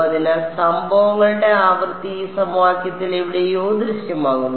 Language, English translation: Malayalam, So, the incident frequency is appearing somewhere in this equation all right